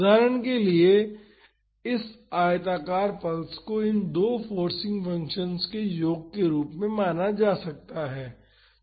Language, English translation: Hindi, For example, this rectangular pulse can be treated as a sum of these two forcing functions